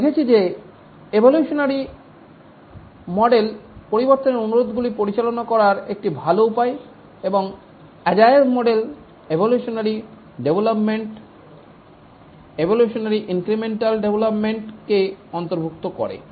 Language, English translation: Bengali, We had seen that the evolutionary model is a good way to handle change requests and the agile models do incorporate evolutionary development, evolutionary and incremental development